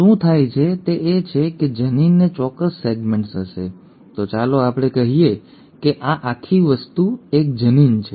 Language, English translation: Gujarati, What happens is the gene will have certain segments; so let us say this whole thing is one gene